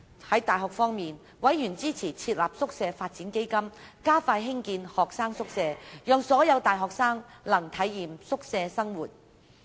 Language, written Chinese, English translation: Cantonese, 在大學方面，委員支持設立宿舍發展基金，加快興建學生宿舍，讓所有大學生能體驗宿舍生活。, In regard to universities members were in support of setting up a Hostel Development Fund speeding up hotel developments so that all university students could experience hostel life